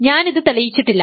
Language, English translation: Malayalam, So, we have proved this